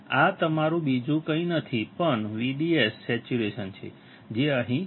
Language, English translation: Gujarati, This is your nothing but V D S saturation which is here